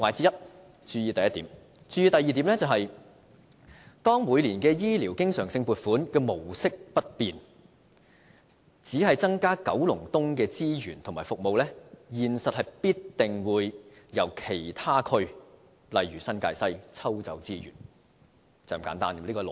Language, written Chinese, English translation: Cantonese, 要注意的第二點是當每年醫療經常性撥款模式不變而只增加九龍東的資源及服務，現實中必定會由其他區如新界西抽調資源，這是一種很簡單的邏輯。, The second point to note is that if we only increase the resources and services in Kowloon East while keeping the annual recurrent funding model for healthcare unchanged in reality resources must be deployed from other districts such as New Territories West . The logic is as simple as such